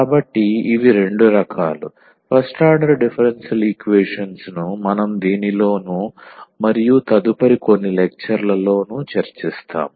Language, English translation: Telugu, So, these are the two types of first order differential equations we will be covering in this and the next few lectures